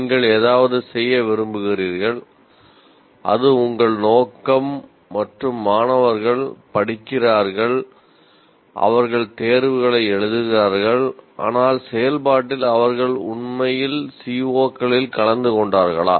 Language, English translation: Tamil, You want to do something that is your intention and the students read and study and the right exams, but in that process have they really attained the CBOs